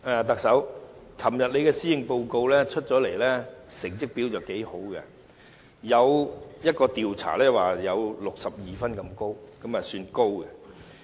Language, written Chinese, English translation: Cantonese, 特首，昨天你的施政報告發表後，成績表現不俗，有一項調查表示有62分，分數算高。, Chief Executive a survey shows that the Policy Address you delivered yesterday is quite well - received scoring 62 points . The rating is quite high